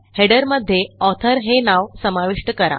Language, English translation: Marathi, Insert the author name in the header